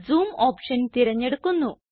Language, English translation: Malayalam, Lets select Zoom option